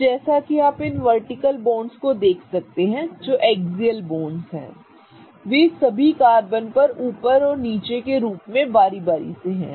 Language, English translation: Hindi, So, as you can see these vertical bonds which are axial bonds they are alternating as up and down on all the carbons